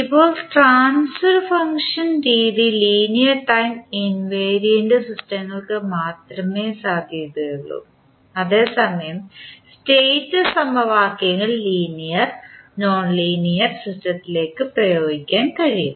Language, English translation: Malayalam, Now, transfer function method is valid only for linear time invariant systems whereas State equations can be applied to linear as well as nonlinear system